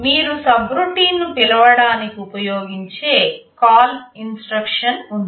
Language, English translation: Telugu, There is a CALL instruction that you use to call a subroutine